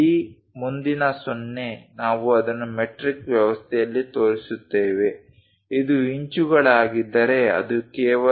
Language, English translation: Kannada, This leading 0, we show it in metric system, if it is inches it will be just